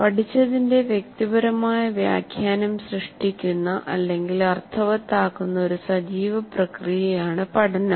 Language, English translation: Malayalam, Learning is an active process of making sense that creates a personal interpretation of what has been learned